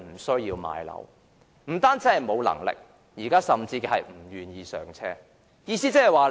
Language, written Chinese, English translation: Cantonese, 市民無能力置業之餘，現時甚至不願意"上車"。, Not only are the public unable to achieve home ownership they are even reluctant to buy their first home